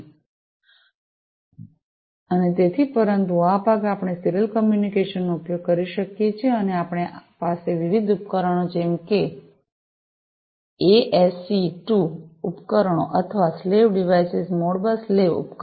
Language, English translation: Gujarati, And, so, but this part we can use the serial communication, and we have this different devices such as the ASC II devices or, the slave devices, Modbus slave devices, and so on